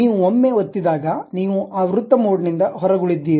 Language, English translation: Kannada, Once you press, you are out of that circle mode